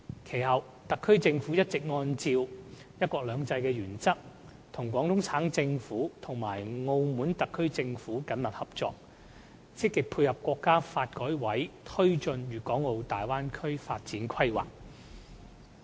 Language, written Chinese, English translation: Cantonese, 其後，特區政府一直按照"一國兩制"的原則，與廣東省政府和澳門特區政府緊密合作，積極配合國家發改委推進《粵港澳大灣區城市群發展規劃》。, The SAR Government has since been working closely with the Guangdong Provincial Government and the Macao SAR Government based on the principle of one country two systems so as to dovetail with NDRCs Development Plan for a City Cluster in the Guangdong - Hong Kong - Macao Bay Area